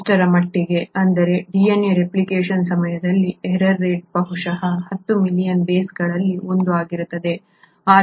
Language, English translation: Kannada, So much so that the error rate at the time of DNA replication will be probably 1 in say 10 million bases